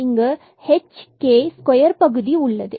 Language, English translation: Tamil, This h square is smaller than the k